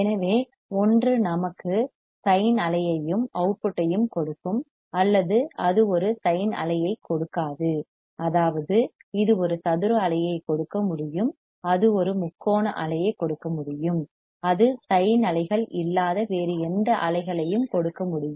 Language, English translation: Tamil, So, either it will give us the sin wave and the output, or it will not give a sin wave; that means, it can give a square wave it can give a triangular wave it can give any other waves which are not sin ways